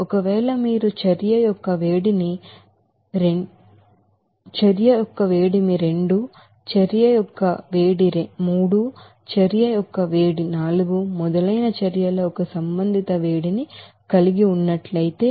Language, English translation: Telugu, And if you are having the respective heat of reactions, like heat of reaction one, heat of reaction two, heat of reaction three, heat of reaction four and so on